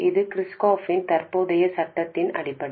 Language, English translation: Tamil, We know that by Kirchff's current law